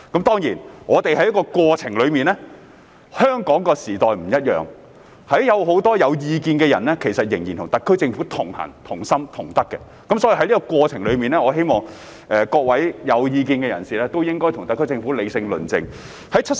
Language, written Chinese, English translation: Cantonese, 當然，我們在過程中，香港的時代不一樣，有很多有意見的人仍然與特區政府同行、同心、同德，我希望在過程中各位有意見的人士應該與特區政府理性論政。, Of course we are going through the process in Hong Kong in a different era . Many people with different views are still walking with the SAR Government with one heart and one mind . I hope that in the process people with different views would rationally discuss political issues with the SAR Government